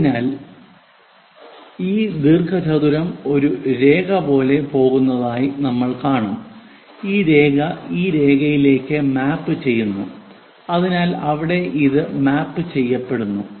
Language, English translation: Malayalam, So, this rectangle we will see which goes like a line and this line maps to this line so, maps there